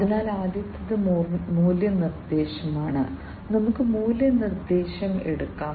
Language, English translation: Malayalam, So, the first one is the value proposition, let us take up the value proposition first